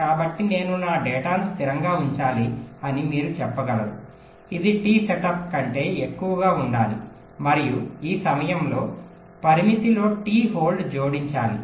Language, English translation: Telugu, so you can say that i must have to keep my data stable for a time which must be greater than t setup plus t hold, with these time in constrained